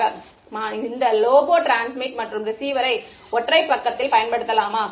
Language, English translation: Tamil, Can I use this lobo transmit and receiver in single side